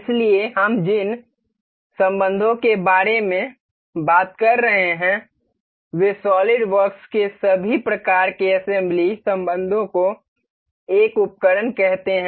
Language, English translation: Hindi, So, the relations that we are talking about the SolidWorks features all such assembly relations under a tool called mate